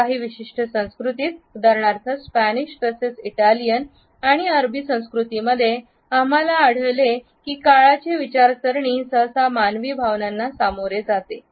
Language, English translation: Marathi, In certain other cultures for example, in Spanish culture as well as in Italian and Arabic cultures, we find that the considerations of time are usually subjected to human feelings